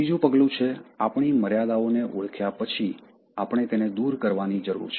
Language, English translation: Gujarati, The third step is after identifying our limitations, we need to discard